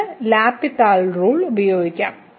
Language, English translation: Malayalam, So, we can use the L’Hospital rule